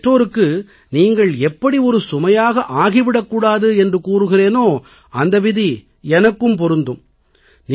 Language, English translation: Tamil, Just as I advise your parents not to be burdensome to you, the same applies to me too